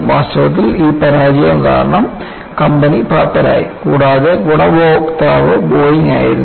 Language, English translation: Malayalam, In fact, the company went bankrupt because of this failure, and the beneficiary was Boeing